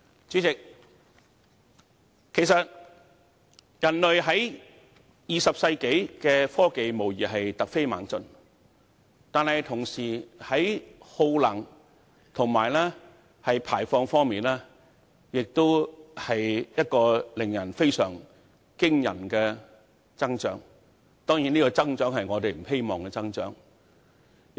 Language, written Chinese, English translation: Cantonese, 主席，在20世紀，人類的科技無疑突飛猛進，但與此同時，我們的耗能和排放量的增長亦非常驚人，而這並非我們希望看到的增長。, President in the 20 century the technology of human beings has doubtlessly advanced by leaps and bounds but at the same time our energy consumption and emissions have recorded astonishing growth growth that we do not wish to see